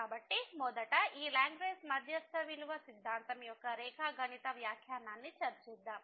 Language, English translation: Telugu, So, let us first discuss the geometrical interpretation of this Lagrange mean value theorem